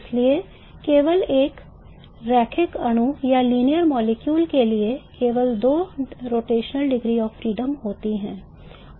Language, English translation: Hindi, Therefore there are only for a linear molecule there are only two rotational degrees of freedom